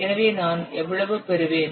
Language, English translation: Tamil, So I will get how much